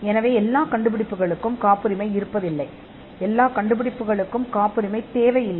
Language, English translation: Tamil, So, not all inventions are patentable, and not all inventions need patents